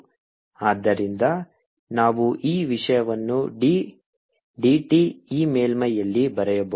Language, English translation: Kannada, so we can write this thing like d, d, t, this surface